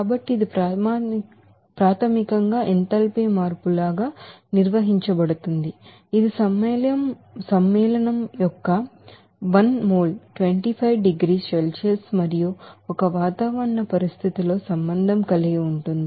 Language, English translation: Telugu, So it is basically defined as the enthalpy changes, which is associated with the formation of one mole of the compound at 25 degrees Celsius and one atmospheric condition